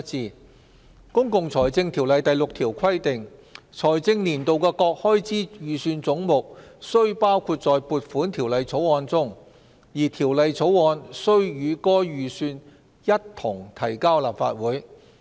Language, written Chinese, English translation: Cantonese, 根據《公共財政條例》第6條規定，"財政年度的各開支預算總目須包括在撥款條例草案中，而條例草案須與該預算一同提交立法會。, Under section 6 of the Public Finance Ordinance The heads contained in the estimates of expenditure for a financial year shall be included in an Appropriation Bill which shall be introduced into the Legislative Council at the same time as the estimates